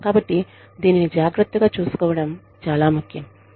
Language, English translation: Telugu, So, it is very important that, this is taken care of